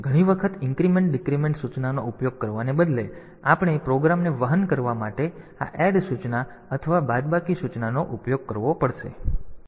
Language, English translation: Gujarati, So, many a times instead of using the increment decrement instruction, we have to use this add instruction or subtract instruction to make the program carry